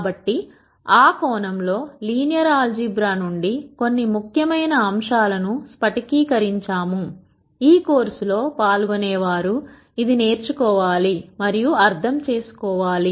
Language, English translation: Telugu, So, in that sense we have crystallized a few important concepts from linear algebra that the participants should learn and understand